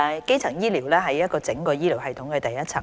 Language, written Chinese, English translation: Cantonese, 基層醫療是整個醫療系統的第一層。, Primary health care is the first level of care in the entire health care system